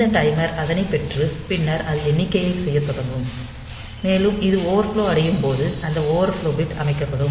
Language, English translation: Tamil, So, that was this timer get it, and then it will start doing up counting and when it overflows it will go to this overflow bit will be set